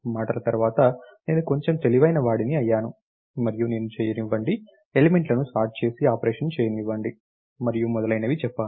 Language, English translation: Telugu, Then after words I am become a little cleverer and I said let me do, let me short the elements and perform operation and so on